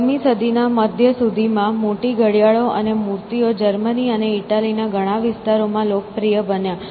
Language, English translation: Gujarati, So, by the middle of the 14th century, large clocks and figures became popular in many areas of Germany and Italy